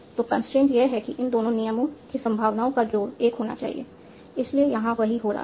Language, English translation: Hindi, So the constraint is that for the probabilities of these two rules should add up to 1